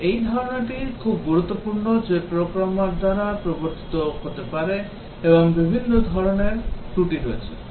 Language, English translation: Bengali, But this concept is very important that there are different types of faults that can be introduced by the programmer